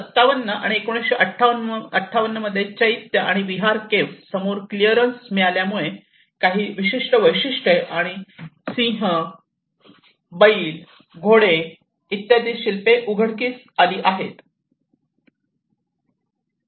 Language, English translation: Marathi, So, in 57 and 58, clearance in front of the Chaitya and Vihara caves reveal some unique features and sculptures that is where I showed you the lion and bull, the horses